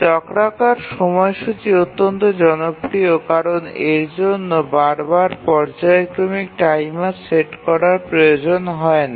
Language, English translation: Bengali, We had remarked that time that the cyclic scheduler is extremely popular because it does not require setting a periodic timer again and again